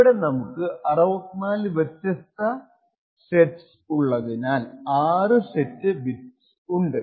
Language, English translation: Malayalam, Number of set bits which is 6 over here because we have 64 different sets